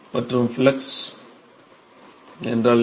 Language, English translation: Tamil, and what is the flux